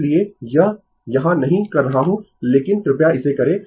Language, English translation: Hindi, So, I am not doing it here, but please do it